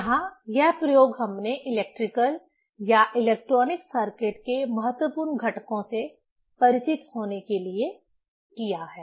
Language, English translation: Hindi, Here this experiment we have demonstrated to be familiar with the important components for electrical or electronic circuits